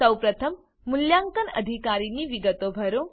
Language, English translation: Gujarati, First of all, fill the Assessing officer details